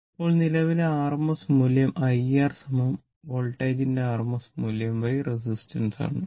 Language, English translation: Malayalam, Now, rms value of the current is that I R is equal to rms value of voltage by the resistance right